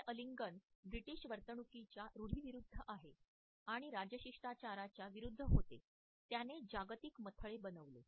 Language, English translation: Marathi, This hug which was so much against the British norm of behavior, so much against the royal protocol made the global headlines